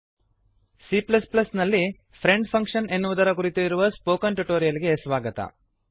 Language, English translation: Kannada, Welcome to the spoken tutorial on friend function in C++